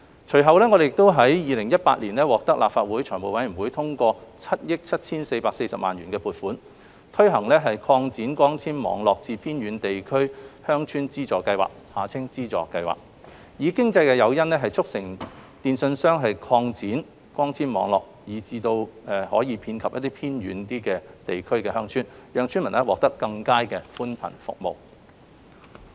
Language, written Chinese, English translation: Cantonese, 隨後，我們於2018年獲立法會財務委員會通過7億 7,440 萬元的撥款，推行擴展光纖網絡至偏遠地區鄉村資助計劃，以經濟誘因，促成電訊商擴展光纖網絡至位於偏遠地區的鄉村，讓村民獲得更佳的寬頻服務。, Subsequently we obtained the approval of the Finance Committee of the Legislative Council in 2018 for a funding of 774.4 million to implement the Subsidy Scheme to Extend Fibre - based Networks to Villages in Remote Areas . The Subsidy Scheme aims to provide financial incentives for telecommunications operators to extend their fibre - based networks to remote villages in order to provide residents with better broadband services